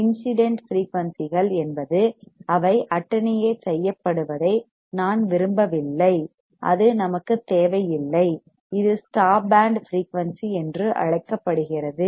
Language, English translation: Tamil, Incident frequencies, that we do not want they are attenuated it is called the stop band frequency